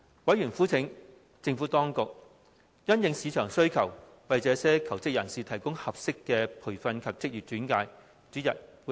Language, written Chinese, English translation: Cantonese, 委員籲請政府當局因應市場需求，為這些求職人士提供合適的培訓及職業轉介。, Members called on the Administration to provide these job seekers with appropriate training and employment referral service having regard to the manpower demand in the market